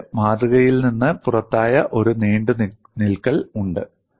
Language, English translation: Malayalam, I have a protrusion that is out of the specimen